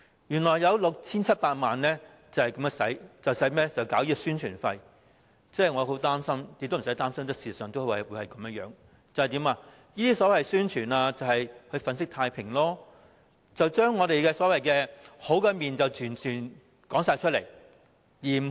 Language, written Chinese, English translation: Cantonese, 原來有 6,700 萬元是宣傳費用，我很擔心，其實亦無需擔心，因為事實上，這些宣傳必定是為了粉飾太平，只展示我們美好的一面，壞的一面則完全不提。, But what will be displayed in the roving exhibitions? . It turns out that 67 million is publicity fees . I am worried but actually there is no need to worry because in fact the publicity will definitely aim at window dressing showing only our good side with no mention of the bad side at all